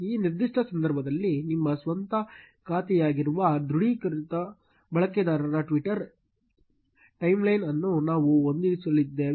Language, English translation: Kannada, In this particular case, we are going to fit the twitter timeline of the authenticated user that is your own account